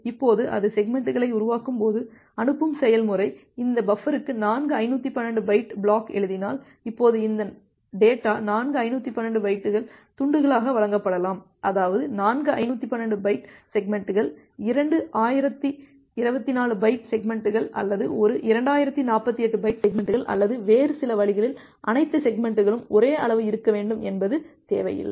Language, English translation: Tamil, Now when it is creating the segments, if the sending process writes four 512 bytes block to this buffer, now this data may be delivered as four 512 bytes chunks that mean four 512 bytes segment, two 1024 bytes segments or one 2048 byte segments or in some other way it is not necessary that all the segments need to be a of same size